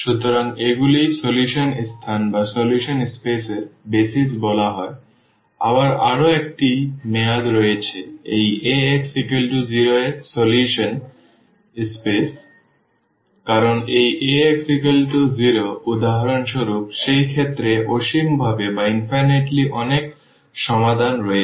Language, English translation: Bengali, So, these are called BASIS of the solution space again one more term has come; the solution space of this Ax is equal to 0 because this Ax is equal to 0 has infinitely many solutions in that case for instance